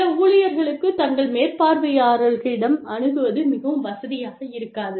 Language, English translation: Tamil, Some employees, may not feel very comfortable, coming to their supervisors